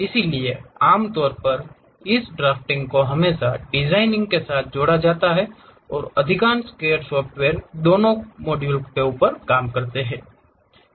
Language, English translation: Hindi, So, usually this drafting always be club with designing and most of these CAD softwares does both the thing